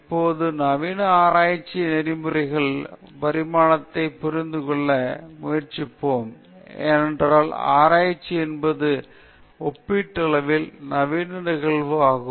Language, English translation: Tamil, And now let us very briefly try to understand, the evolution of modern research ethics, because research itself is a comparatively modern phenomenon